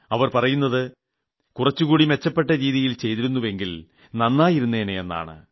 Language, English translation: Malayalam, They say that you should have done something better